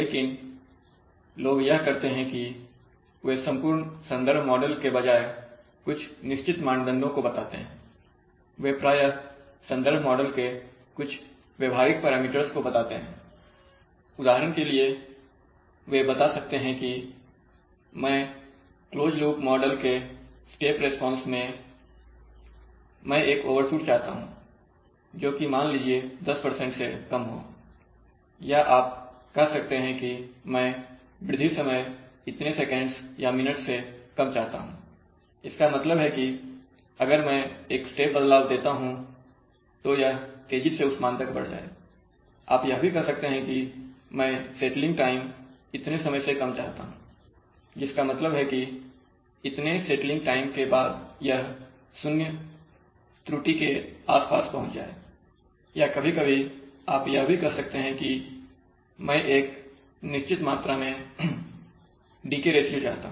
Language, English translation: Hindi, Is that, they do state certain rather than stating a complete reference model, they often state some behavioral parameters of that reference model, for example they can state that, in the step response of the closed loop model, I want an overshoot which is generally stated as lower than something, maybe I want less than ten percent overshoot or you can say that I want less than so many seconds or minutes of rise time, which means that if I make a step change it will quickly rise to that value, you may say that I want less than so much of settling time which means that after that, after the settling time, will get nearly zero error or you can say sometimes, you can say that I want a certain amount of decay ratio now what is decay ratio